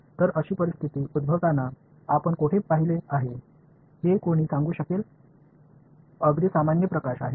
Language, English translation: Marathi, So, can anyone tell me where you have seen such a situation arise; it is very common light right